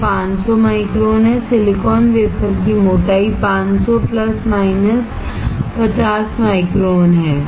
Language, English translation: Hindi, This is 500 microns; The thickness of the silicon wafer is 500 plus minus 50 microns